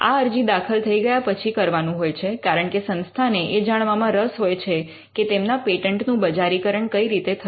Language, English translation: Gujarati, This is after the filing of the application because; institute is always interested in knowing how its patent have been commercialized